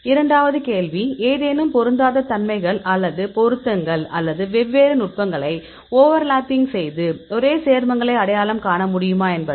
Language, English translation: Tamil, Second question is; are there any mismatches or matches or over lapping of the different techniques; which can potentially identify same compounds